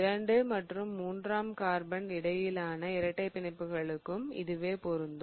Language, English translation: Tamil, Same goes for the double bonds between carbon 2 and 3